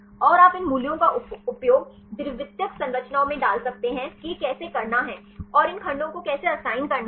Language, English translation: Hindi, And you can use these values to put in secondary structures how to do this and how to assign these segments